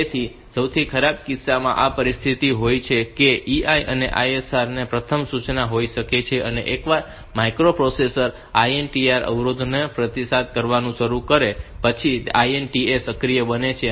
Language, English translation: Gujarati, So, in the worst case this is the situation that EI can be the first instruction of the ISR and once the microprocessor starts to respond to the INTR interrupts, INTA becomes active